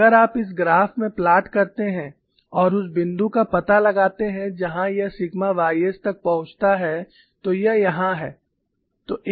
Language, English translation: Hindi, And if you plot in this graph and locate the point where it reaches the sigma y s, it is here